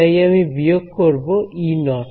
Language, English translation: Bengali, So, I subtract off E naught ok